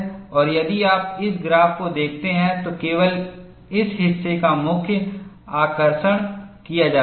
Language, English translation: Hindi, And if you look at this graph, only this portion is highlighted